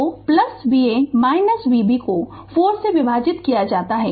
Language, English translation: Hindi, So, plus V a minus V b divided by 4